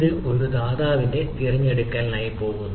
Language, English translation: Malayalam, so it goes for a provider selection right